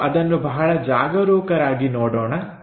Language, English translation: Kannada, So, let us look at this carefully